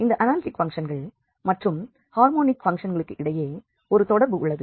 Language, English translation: Tamil, Coming back to these harmonic functions, what are the harmonic functions